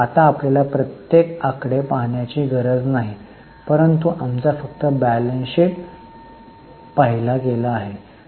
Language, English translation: Marathi, Now, you don't have to look at every figure, but we just had a overall look at the balance sheet